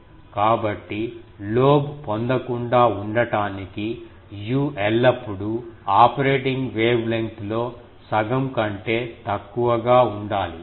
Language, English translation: Telugu, So, to avoid getting the lobe, u should be always less than half of the operating wavelength